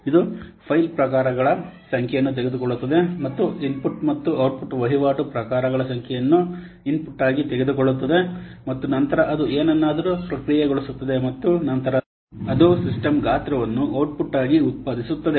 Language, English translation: Kannada, It takes the number of file types and the number of input and output transaction types as input and then it processes something and then it will produce the system size as the output